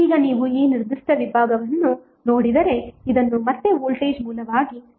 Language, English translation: Kannada, Now if you see this particular segment this can be again converted into the voltage source